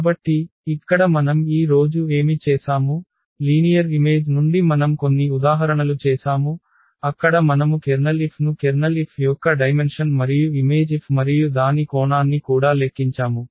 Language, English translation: Telugu, So, here what we have done today, with this from the linear map we have done some examples where we have computed the Kernel F also the dimension of the Kernel F as well as the image F and its dimension